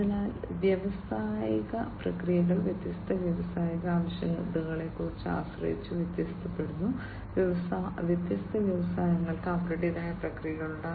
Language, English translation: Malayalam, So, industrial processes are varied depending on different industrial requirements, different industries have their own set of processes